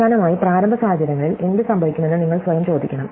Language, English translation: Malayalam, And finally, you have to ask ourselves what happens at the initial conditions